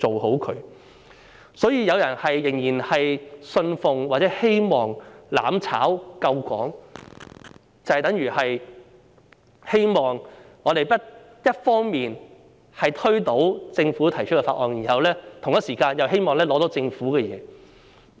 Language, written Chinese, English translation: Cantonese, 因此，若有人仍然信奉或希望"攬炒"救港，就等於一方面希望推倒政府提出的法案，同時又希望拿到政府的資源。, Therefore if someone still believes or hopes that mutual destruction can save Hong Kong it is tantamount to seeking to overturn the bills proposed by the Government on one hand while wishing to obtain resources from the Government on the other